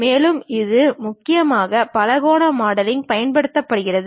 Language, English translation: Tamil, And it mainly uses polygonal modeling